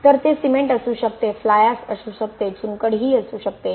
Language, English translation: Marathi, So it could be a cement it could be fly ash it could be limestone